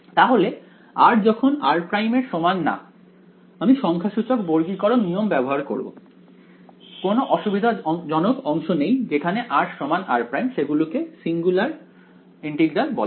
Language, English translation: Bengali, So, when r is not equal to r prime I will use numerical quadrature rules no problem segments where r is equal to r prime those are what are called singular integrals